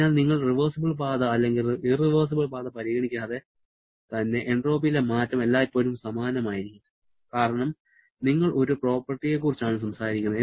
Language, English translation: Malayalam, So, regardless of you are following a reversible path or irreversible path, the change in entropy will always remain the same because you are talking about a property